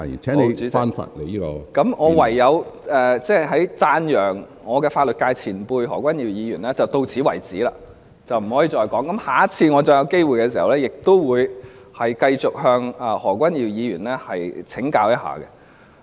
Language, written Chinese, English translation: Cantonese, 好的，主席，那麼我讚揚法律界前輩何君堯議員便唯有到此為止，不能夠繼續說了，下次有機會時，我會繼續向何君堯議員請教。, Fine President . So I have to stop praising Dr Junius HO a senior figure in the legal profession . I shall say no more and will take another opportunity to learn from Dr Junius HO